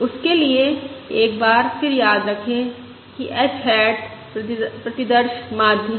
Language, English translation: Hindi, For that, once again, recall that h hat is the sample mean